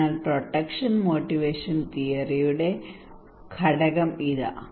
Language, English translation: Malayalam, So here is the component of PMT of protection motivation theory